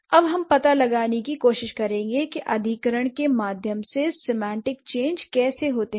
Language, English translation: Hindi, So, now we will try to find out how the semantic changes happen through acquisition